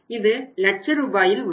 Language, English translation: Tamil, It was also in Rs, lakhs